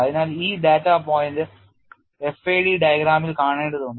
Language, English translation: Malayalam, So, this data point has to be seen in the fair diagram